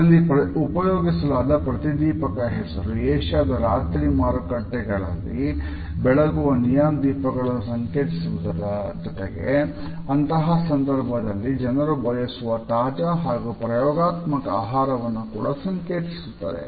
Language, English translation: Kannada, The fluorescent green communicates the neon lights of Asia’s night markets as well as the fresh and experimental food which people expect in such situations